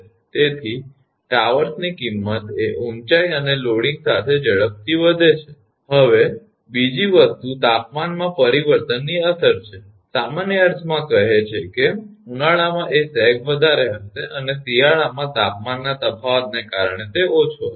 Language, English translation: Gujarati, So, cost of towers sharply increases with height and loading right, now another thing is the effect of temperature change, common sense says that in summer that sag will be more and winter it will be less because of the temperature variation